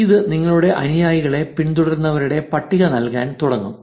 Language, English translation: Malayalam, This will start getting the list of followees of your own followers